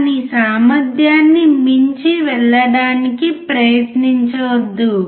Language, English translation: Telugu, Do not try to go beyond its capacity